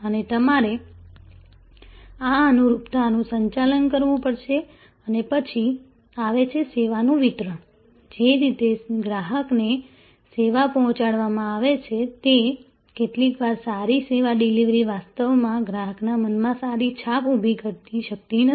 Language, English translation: Gujarati, And you have to manage this conformance and then, the next gap is of course, what the service is being delivered and what the customer is perceived, sometimes good service delivery may not actually create that kind of a favorable impression in the customer mind